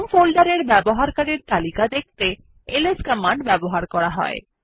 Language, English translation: Bengali, To show the list of users in the home folder this command is used